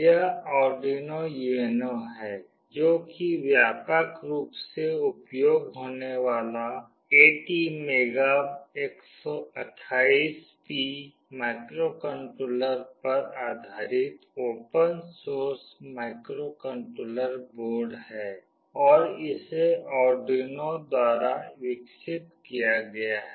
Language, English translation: Hindi, This is the Arduino UNO, which is widely used open source microcontroller board, based on ATmega328P microcontroller and is developed by Arduino